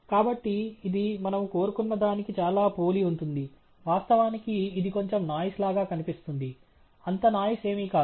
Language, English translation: Telugu, So, it looks pretty similar to what we we wanted; of course, it looks a bit noisy, not so noisy